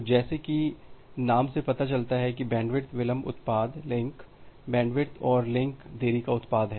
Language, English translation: Hindi, So, as the name suggests that bandwidth delay product is product of link bandwidth and the link delay